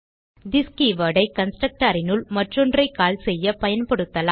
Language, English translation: Tamil, We can use this keyword inside a constructor to call another one